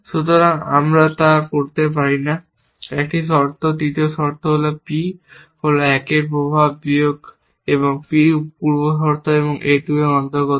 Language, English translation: Bengali, So, we cannot do that, one condition the third condition is the P belongs to effects minus of a 1 and P belongs to precondition a 2